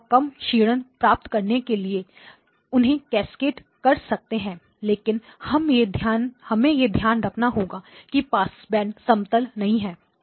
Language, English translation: Hindi, You can cascade them to get a lower attenuation but we have to keep in mind that the passband is not flat